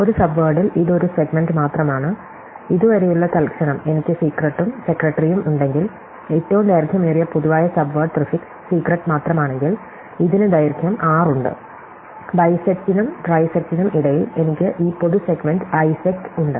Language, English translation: Malayalam, In a subword, it is just a segment, so for instance, if I have secret and secretary and the longest common subword is just the prefix secret and it has length 6, between bisect and trisect, I have this common segment isect